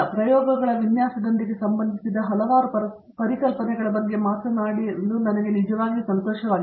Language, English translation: Kannada, It has been a real pleasure to talk about the various concepts associated with the Design of Experiments